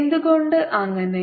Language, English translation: Malayalam, why so this